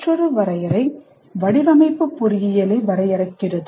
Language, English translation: Tamil, Another definition is design defines engineering